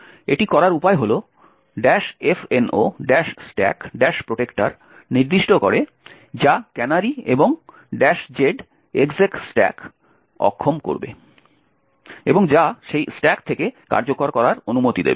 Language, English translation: Bengali, The way to do it is by specifying minus f no stack protector which would disable canaries and minus z execute stack which would permit execution from that stack